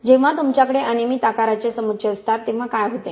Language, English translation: Marathi, What happens when you have irregularly shaped aggregates